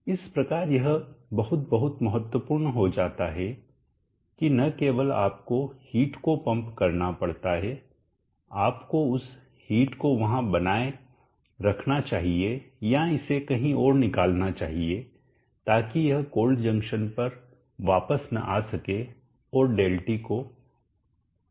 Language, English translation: Hindi, So it becomes very, very important that not only do you have to pump the heat up, you should retain that heat there or remove it elsewhere, so that it does not come back to the cold junction and reduce the